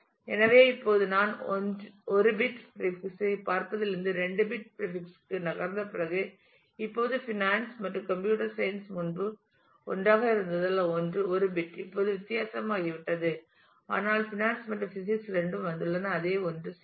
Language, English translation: Tamil, So, now, I find that after I have moved from looking at 1 bit of prefix to 2 bits of prefix now finance and computer science which was earlier together because I was looking at 1 bit now becomes different, but finance and physics both come to the same 1 0